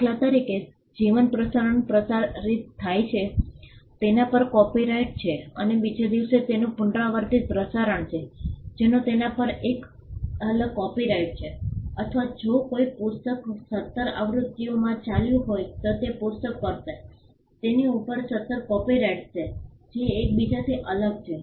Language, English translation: Gujarati, For instance a life event is broadcasted there is a copyright on it and there is a repeat broadcast the next day that has a separate copyright over it or to put it in another way if there is a book that has gone into seventeen editions the book will have seventeen copyrights over it each one different from the other